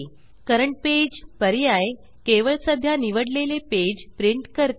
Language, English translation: Marathi, Current page option prints only the current selected page